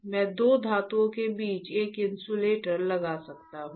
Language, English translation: Hindi, I can place one insulator in between the two metals